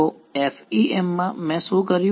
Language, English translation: Gujarati, So, in the FEM what did I do